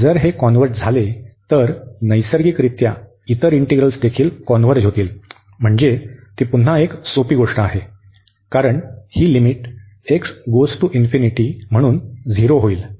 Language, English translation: Marathi, And if this converges then naturally the other integral will also converge, so that is again a simple so, because this limit is coming to be 0 as x approaches to infinity